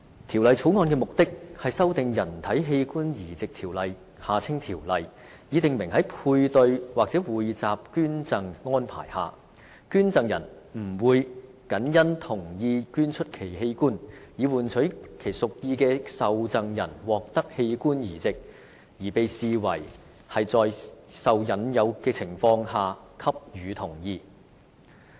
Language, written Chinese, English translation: Cantonese, 《條例草案》的目的，是修訂《人體器官移植條例》，以訂明在配對或匯集捐贈安排下，捐贈人不會謹因同意捐出其器官，以換取其屬意的受贈人獲得器官移植，而被視為是在受引誘的情況下給予同意。, The Bill seeks to amend the Human Organ Transplant Ordinance to provide that under a paired or pooled donation arrangement the fact that consent has been given in consideration of a proposed organ transplant into a person chosen by the donor would not in itself constitute an offer of inducement